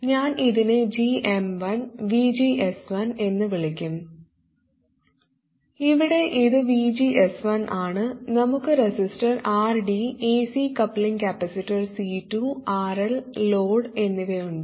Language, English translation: Malayalam, I will call this GM1, VGS 1, where this is VGS 1 and we have the resistor RD, AC coupling capacitor C2 and load RL